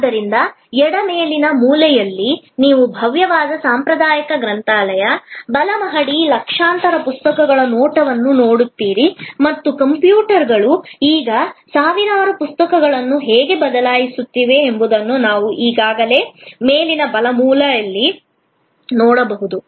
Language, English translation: Kannada, So, on the left upper corner you see the view of a grand traditional library, multi storied, millions of books and we can also already see on the top right hand corner, how computers are now replacing thousands of books